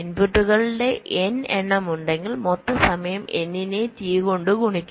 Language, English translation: Malayalam, ok, so if there are the n number of inputs, so the total time will be n multiplied by t